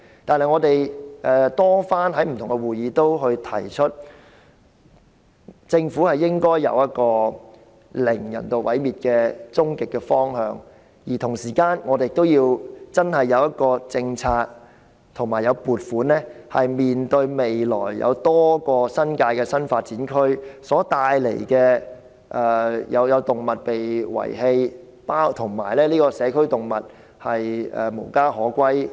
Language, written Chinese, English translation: Cantonese, 但是，我們在不同的會議上均多番提出，政府的終極方向應該是"零人道毀滅動物"，而同時，我們亦要有政策和撥款，以面對未來多個新界的新發展區所帶來的問題，包括動物被遺棄、社區動物無家可歸。, However as we have repeatedly stated in different meetings the Government should work towards the ultimate goal of zero euthanization of animals and meanwhile we should also have policies and funding in place to cope with the potential problems coming with the new development areas in the New Territories including abandoned animals and homeless community animals